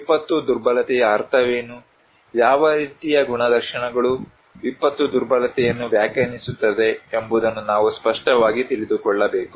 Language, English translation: Kannada, We need to know clearly what is the meaning of disaster vulnerability, what kind of characteristics would define disaster vulnerability